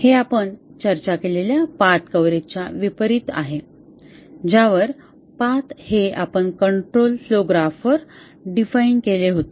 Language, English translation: Marathi, This is unlike the path coverage which you had discussed where the paths were defined on the control flow graph here